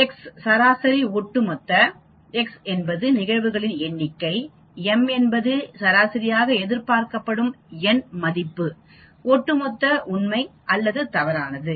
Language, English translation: Tamil, x mean cumulative, x is the number of events, x is the number of events, m is the mean that means, m is the expected numerical value cumulative true or false